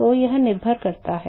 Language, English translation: Hindi, So, that depends upon